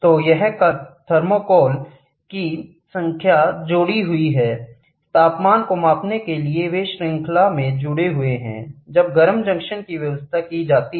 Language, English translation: Hindi, So, this is and a number of thermocouples are connected to measure the temperature they are connected in series, wherein the hot junction is arranged side by side